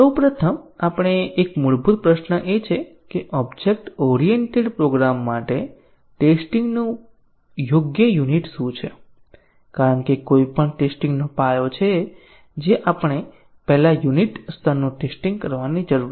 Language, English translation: Gujarati, First let us address this is a very fundamental question what is a suitable unit of testing for object oriented programs because this is the foundation of any testing that we need to do first the unit level testing